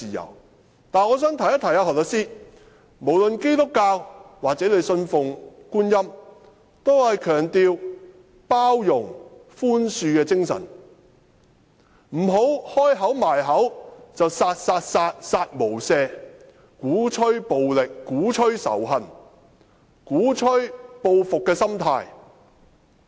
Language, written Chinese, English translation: Cantonese, 然而，我想提醒何律師，無論是基督教或他信奉觀音，均是強調包容、寬恕的精神，不要張口閉口說"殺、殺、殺、殺無赦"，鼓吹暴力，鼓吹仇恨，鼓吹報復的心態。, However I would like to remind Solicitor HO that believers of Christianity or worshippers of his Guanyin all emphasizes the spirit of tolerance and forgiveness . Do not always say kill kill kill kill without mercy or preach violence advocate hatred endorse vindictiveness